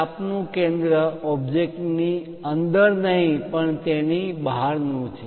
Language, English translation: Gujarati, The center of the arc is not somewhere inside the object somewhere outside